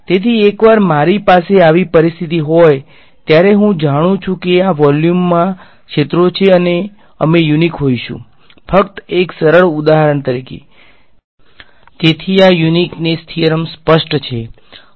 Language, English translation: Gujarati, So, once I have such a situation I know there is a fields in this volume we will be unique ok, as just a simple example alright; so is this uniqueness theorem clear